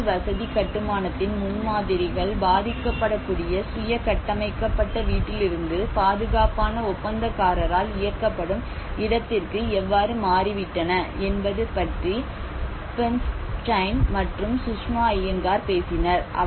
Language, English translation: Tamil, Where you know Bernstein and Sushma Iyengar, they talked about how the paradigms from the housing construction India have shifted from the vulnerable self built housing to the safe contractor driven and they also emphasize on the owner driven prologue approaches